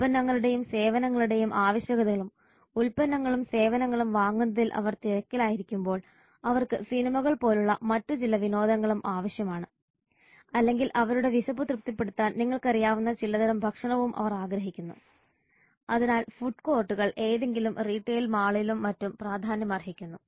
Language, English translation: Malayalam, And while they are busy with purchasing of products and services they also need some other types of entertainment like movies etc or and they also want some kind of food to eat to satisfy their hunger so food codes have also become important in any retail mall etc